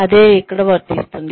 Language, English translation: Telugu, The same thing will apply here